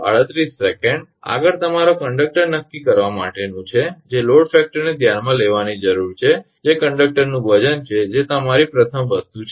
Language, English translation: Gujarati, Next is your for determining the conductor load the factors that need to be considered that is the weight of the conductor itself that your first thing